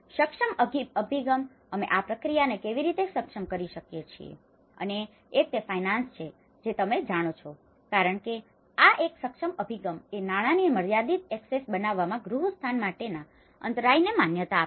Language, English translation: Gujarati, The enabling approach, how we can enable this process and one is the finance you know because this is one the enabling approach recognizes the bottleneck to housing created limited access to finance